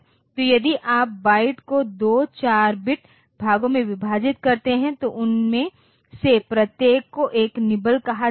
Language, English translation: Hindi, So, if you divide the byte into two 4 bit parts, each of them will be called a nibble